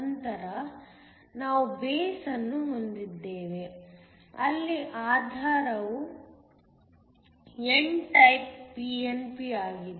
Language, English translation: Kannada, We then have a Base; the Base here is n type pnp